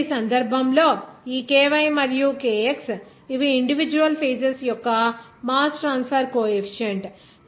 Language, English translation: Telugu, Now, in this case, this ky and kx these are mass transfer coefficient of individual phases